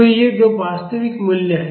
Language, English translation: Hindi, So, these are two real values